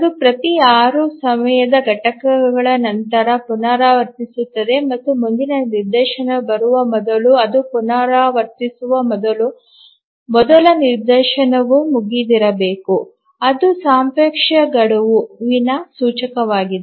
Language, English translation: Kannada, So it repeats after every six time units and before it repeats, before the next instance comes, the first instance must have been over